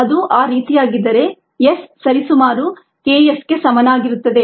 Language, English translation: Kannada, if that is a case, then s is the approximately equal to k s